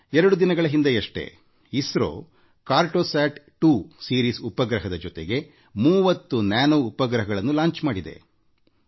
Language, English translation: Kannada, Just two days ago, ISRO launched 30 Nano satellites with the 'Cartosat2 Series Satellite